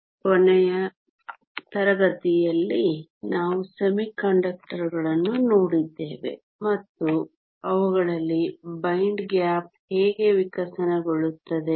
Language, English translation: Kannada, So, in last class we looked at semiconductors and how a bind gap evolves in them